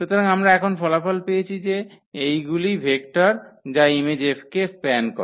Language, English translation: Bengali, So, that is the result we have now that these are the vectors which span the image F